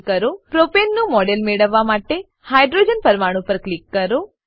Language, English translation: Gujarati, Click on the hydrogen atom to get a model of Propane